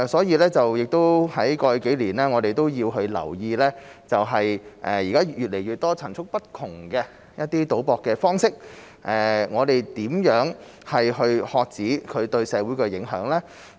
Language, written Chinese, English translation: Cantonese, 過去數年，我們留意到越來越多層出不窮的賭博方式，我們應如何遏止其對社會造成的影響呢？, In the past few years we have noticed that new bet types introduced one after another; how should we reduce its impact on society?